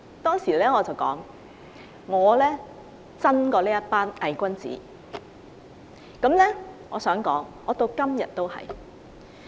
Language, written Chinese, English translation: Cantonese, 當時我說我比這群偽君子真，我至今也是如此。, At that time I said I was better than a hypocrite and still I am today